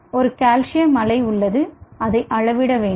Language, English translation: Tamil, so there is a calcium wave which has to be measured